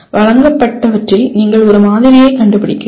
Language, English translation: Tamil, In whatever you are presented you are finding a pattern